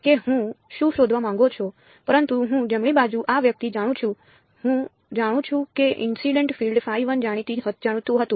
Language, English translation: Gujarati, That is what I want to find out, but I know the right hand side this guy I know the incident field phi i is known